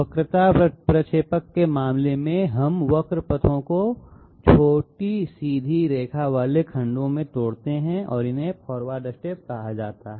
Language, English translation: Hindi, In case of curvilinear interpolators, we break up curve paths into shot straight line segments and these are called the forward steps